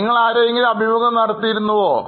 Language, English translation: Malayalam, Have you interviewed anyone